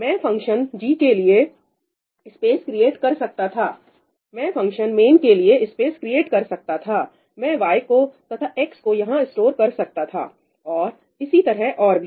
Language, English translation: Hindi, I could have created a space for function g, I could have created a space for function main and I could have just stored ‘y’ over here and whatever, x over here and so on, right; I could have just done this